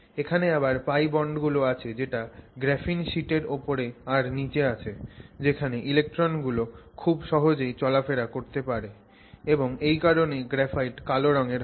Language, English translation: Bengali, And the, there is, there are pi bonds which are above and below that the graphene sheet where the electrons can relatively more easily move and that is what gives the graphite its black color